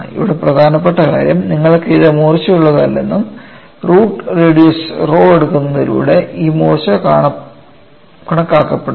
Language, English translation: Malayalam, The important aspect here is you have this has blunt and this blunting is accounted for, by taking a root radius rho